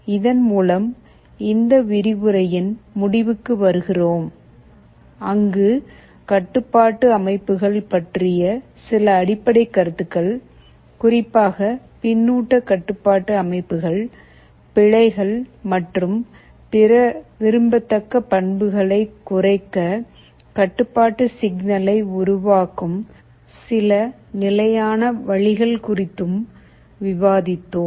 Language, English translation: Tamil, With this we come to the end of this lecture, where we have discussed some basic concepts about control systems in particular the feedback control systems and some standard ways of generating the control signal to minimize errors and other desirable properties